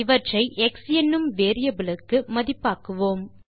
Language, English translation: Tamil, We assign these values to a variable called x